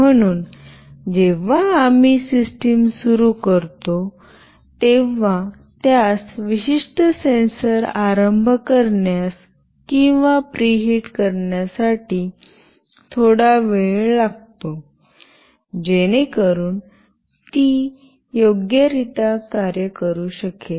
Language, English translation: Marathi, So, when we start the system, it might require some time to initiate or to preheat the particular sensor, so that it can work properly